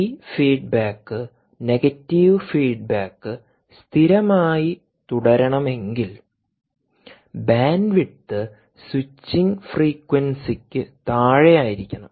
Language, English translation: Malayalam, essentially, if you want this feedback negative feedback to remain stable, the bandwidth should be below the switching frequency